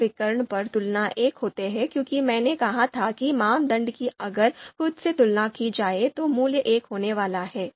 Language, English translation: Hindi, Comparisons on the main diagonal are one as I said a criterion if it is compared with itself that value is going to be one